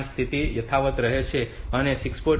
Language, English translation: Gujarati, 5 they remain unchanged, 6